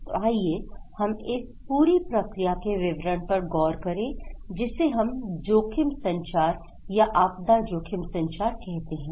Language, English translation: Hindi, So, let us look into the detail of this entire process, which we call risk communications or disaster risk communications